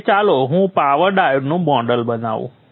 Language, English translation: Gujarati, Now let me model the power diode